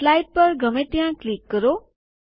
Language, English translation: Gujarati, Click anywhere in the slide